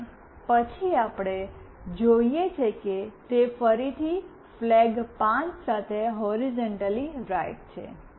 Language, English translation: Gujarati, And then we see that it is again horizontally right with flag 5